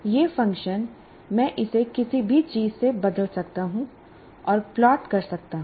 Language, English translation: Hindi, This function, I can replace it by anything and plot